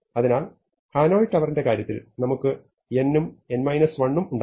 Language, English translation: Malayalam, So, for the Hanoi case we had n and n minus 1